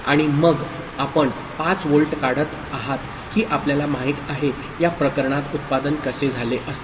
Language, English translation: Marathi, And then you remove that you know, 5 volt; how would have been the output in this case